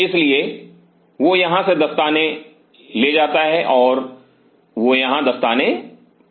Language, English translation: Hindi, So, he carries the gloves from here and he put on the gloves here